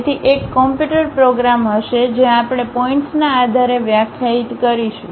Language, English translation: Gujarati, So, there will be a computer program where we we will define based on the points